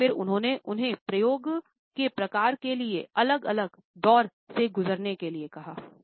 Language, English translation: Hindi, And then he had asked them to undergo different types of experimentations